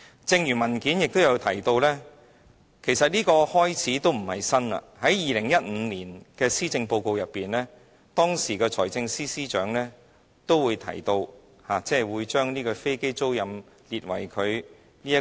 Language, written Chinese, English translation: Cantonese, 正如文件提到，其實這並不是甚麼新開始，在2015年施政報告中，當時的財政司司長提到，會有特別措施推動飛機租賃業務。, As mentioned in the paper the present proposal is actually nothing new . In the 2015 Policy Address the then Financial Secretary said that there would be special initiatives to promote aircraft leasing business